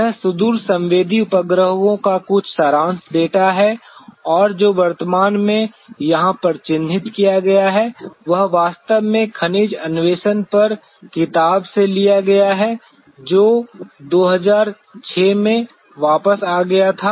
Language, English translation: Hindi, This is a some of the summary data of the remote sensing satellites and what is marked here present is in fact, taken from the book on mineral exploration that was way back in 2006